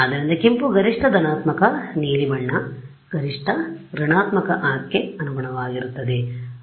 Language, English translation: Kannada, So, red will correspond to maximum positive blue will correspond to maximum negative right